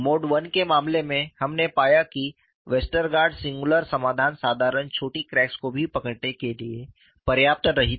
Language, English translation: Hindi, We will have a different type of story here in the case of mode 1, we found that Westergaard singular solution was not sufficient to capture even for simple short cracks